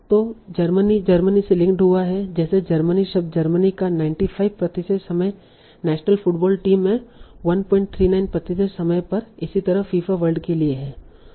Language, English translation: Hindi, So Germany is linked to the Germany, the word Germany like 94% of the time, Germany national football team, 1